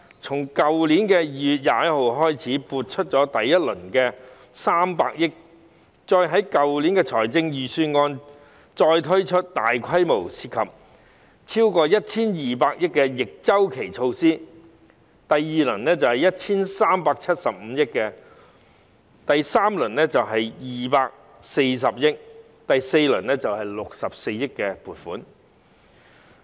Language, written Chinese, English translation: Cantonese, 從去年2月21日開始撥出第一輪的300億元，再於去年的預算案推出大規模、涉及超過 1,200 億元的逆周期措施，第二輪措施的撥款是 1,375 億元，第三輪是240億元，第四輪則是64億元。, Starting from 21 February last year funds amounting to 30 billion were allocated in the first round after which large - scale counter - cyclical measures incurring more than 120 billion were introduced in last years budget . In the second round of measures a total of 137.5 billion was allocated followed by 24 billion in the third round and 6.4 billion in the fourth